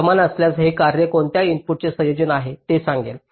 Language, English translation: Marathi, if so, it will also tell you for what combination of the inputs the function is one